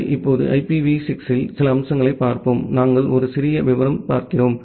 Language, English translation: Tamil, Well, now let us look into few features in IPv6; we look into a little detail